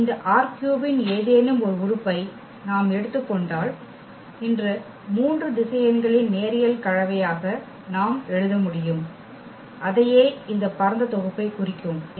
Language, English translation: Tamil, That if we take any element of this R 3 any element of this R 3, then we must be able to write down as a linear combination of these three vectors and that is what we mean this spanning set